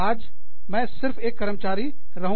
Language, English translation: Hindi, Today, i will just be an employee